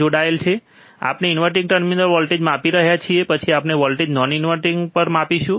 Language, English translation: Gujarati, Now we are measuring the voltage at inverting terminal, then we will measure the voltage at non inverting